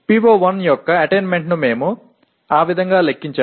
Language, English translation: Telugu, That is how we compute the attainment of PO1